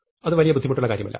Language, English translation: Malayalam, Well, is not very difficult